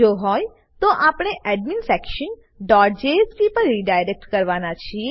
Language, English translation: Gujarati, If yes, then we redirect to adminsection.jsp